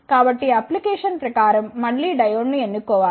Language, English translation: Telugu, So, one should again choose the diode according to the application